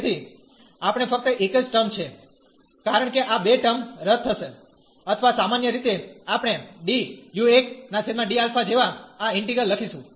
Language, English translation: Gujarati, So, we will have only the one term, because these two terms will cancel out or usually we write like d over d alpha of this integral